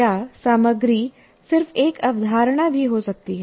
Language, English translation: Hindi, Or the content could be just merely one single concept as well